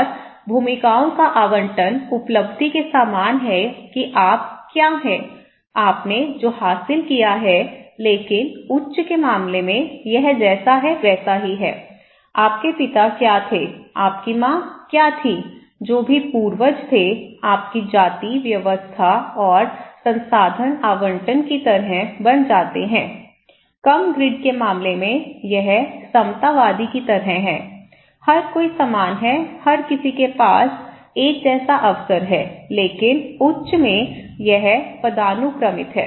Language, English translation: Hindi, And allocation of roles is like achievement what you are; what you have achieved but in case of high, it is like ascribed, what your father was, what your mother was, whatever ancestor was, you become like caste system, okay and resource allocations; in case of low grid, it is like egalitarian, everybody is equal, everybody has the same opportunity but in case your hierarchical; in high, it is hierarchical